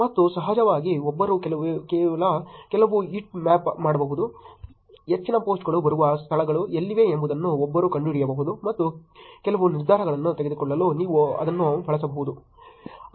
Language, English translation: Kannada, And of course, one could do some heat map, one could find out where are the places from where majority of the posts are coming and you could use that for making some decisions